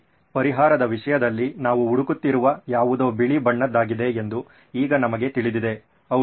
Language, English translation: Kannada, Okay now we know that something that we are looking for in terms of a solution is white in color